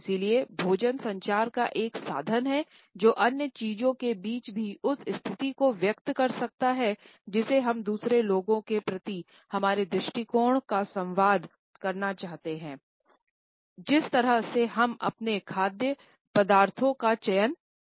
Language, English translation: Hindi, And therefore, food is a means of communication which among other things can also convey the status we want to communicate our attitude towards other people by the manner in which we order and we select our food items